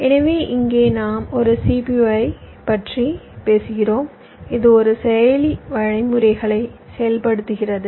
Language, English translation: Tamil, so here we are talking about a cpu, a processor which is executing instructions